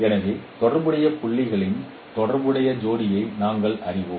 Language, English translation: Tamil, So we know the corresponding pair of corresponding, corresponding points